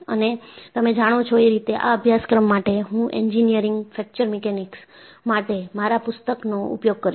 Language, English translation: Gujarati, And, you know, for this course, I will be using my book on, e book on Engineering Fracture Mechanics